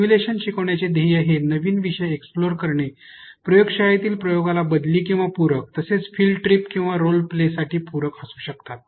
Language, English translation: Marathi, The instructional goal of a simulation can be to explore a new topic a replace or supplement lab work a supplement to field trip or role play